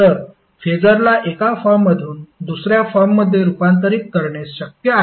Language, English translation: Marathi, So it is possible to convert the phaser form one form to other form